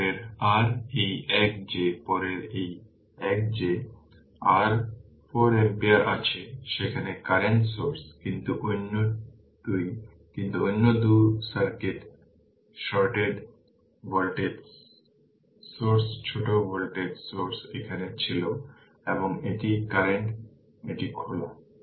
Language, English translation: Bengali, Next is your this one that next is this one that your 4 ampere is there current source, but the other 2, but other 2 it is shorted voltage source is shorted voltage source was here and this is current right this is open